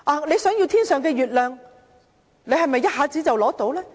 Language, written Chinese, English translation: Cantonese, 你想要天上的月亮，是否一下子便能拿取？, You aspire to the moon in the sky but can you grasp it right with you hand?